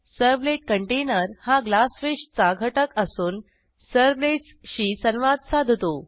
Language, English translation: Marathi, Servlet container is a component of Glassfish that interacts with servlets